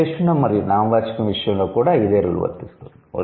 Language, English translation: Telugu, Similar is the case with adjective and noun